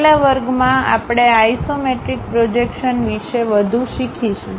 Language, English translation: Gujarati, In the next class, we will learn more about these isometric projections